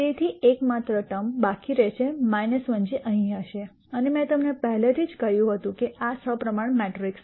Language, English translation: Gujarati, So, the only term remaining will be minus 1 which will be here and I already told you this is a symmetric matrix